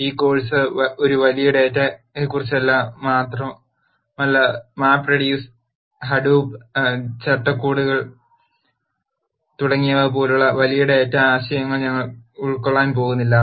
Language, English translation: Malayalam, This course is also not about big data per se and we are not going to cover big data concepts such as map reduce, hadoop frameworks and so on